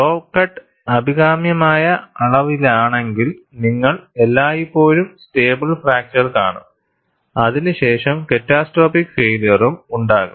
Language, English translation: Malayalam, If the saw cut is of a desirable dimension, you will always see a stable fracture followed by catastrophic failure